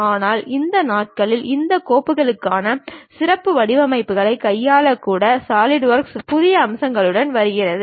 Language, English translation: Tamil, But these days, Solidworks is coming up with new features even to handle these specialized formats for these files